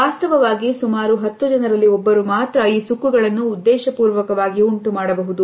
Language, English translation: Kannada, Actually only 1 in about 10 people can cause these wrinkles on purpose